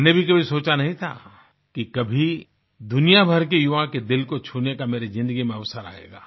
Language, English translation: Hindi, I had never thought that there would be an opportunity in my life to touch the hearts of young people around the world